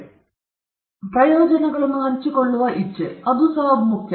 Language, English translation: Kannada, Then again, willingness to share the benefits; that is very important